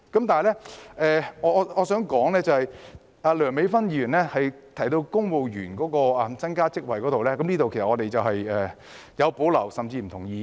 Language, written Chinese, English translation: Cantonese, 但是，我想說的是，梁美芬議員的修正案建議增加公務員職位，對於這方面我們有保留，甚至不同意。, However I wish to say that as regards Dr Priscilla LEUNGs amendment which proposes to increase the number of civil service posts we have reservation about this and even disagree with this